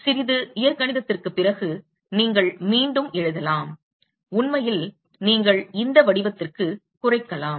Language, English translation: Tamil, You can rewrite after little bit of algebra, you can actually reduce it to this form